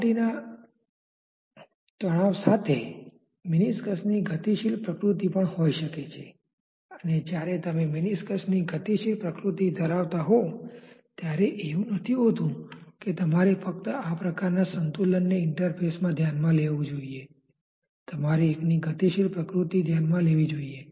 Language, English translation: Gujarati, With surface tension one may also have a dynamic nature of the meniscus and when you have a dynamic nature of the meniscus it is not that you just have to consider this type of equilibrium at the interface, you may have to consider overall dynamical nature of one fluid as it is displacing the other and moving in the capillary